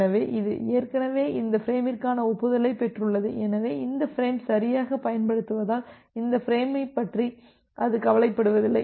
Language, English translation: Tamil, So, it has already received the acknowledgement for this frame so, it does not bother about this frame anymore because this frame has correctly being transmitted